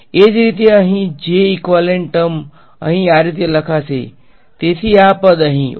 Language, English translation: Gujarati, Similarly the j equivalent term over here will be written as; so, this term over here yeah